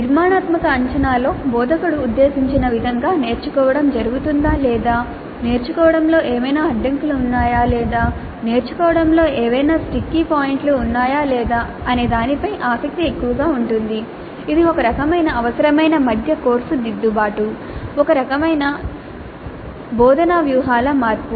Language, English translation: Telugu, In formative assessment the interest is more on determining whether the learning is happening the way intended by the instructor or are there any bottlenecks in learning or any sticky points in learning which require some kind of a mid course correction, some kind of a change of the instructional strategies